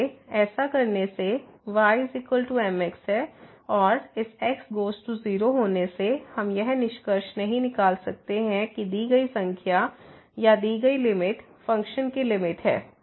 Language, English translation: Hindi, So, by doing so y is equal to mx and letting this goes to , we cannot conclude that the given number or the given limit is the limit of the of the function